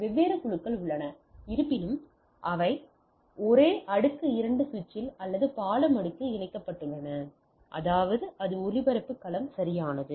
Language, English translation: Tamil, So, I have different groups nevertheless they are connected in the same layer 2 switch, or bridge layer to so; that means, the same broadcast domain right